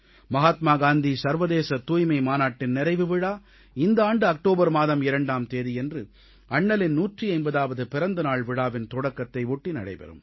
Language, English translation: Tamil, Mahatma Gandhi International Sanitation Convention will conclude on 2nd October, 2018 with the commencement of Bapu's 150th Birth Anniversary celebrations